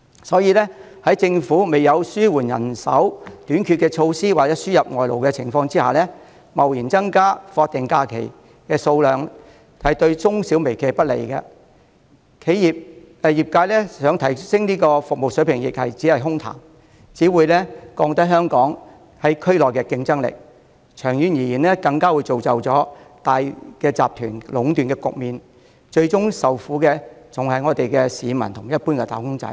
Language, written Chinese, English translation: Cantonese, 所以，在政府未有紓緩人手短缺的措施或輸入外勞的情況下，貿然增加法定假日的日數會對中小微企不利，業界想提升服務亦只會淪為空談，並降低香港在區內的競爭力，長遠而言更會造成大集團壟斷的局面，最終受苦的還是市民和一般"打工仔"。, Thus before the Government introduces any measures to relieve labour shortage or import labour arbitrarily increasing the number of statutory holidays will harm MSMEs reduce plans of service enhancement by the industries to empty talk weaken Hong Kongs competitiveness in the region and result in monopolization of consortia in the long term . In the end members of the public and ordinary employees will suffer